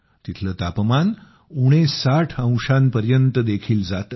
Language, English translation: Marathi, The temperature here dips to even minus 60 degrees